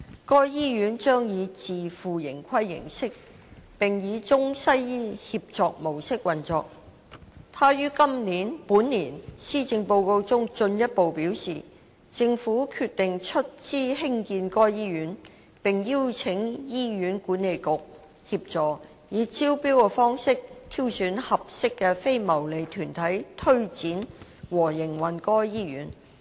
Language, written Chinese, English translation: Cantonese, 該醫院將以自負盈虧形式，並以中西醫協作模式運作。他於本年《施政報告》中進一步表示，政府決定出資興建該醫院，並邀請醫院管理局協助，以招標方式挑選合適的非牟利團體推展和營運該醫院。, He further stated in this years Policy Address that the Government had decided to finance the construction of the hospital and invite the Hospital Authority HA to assist in identifying a suitable non - profit - making organization by tender to take forward the project and operate the hospital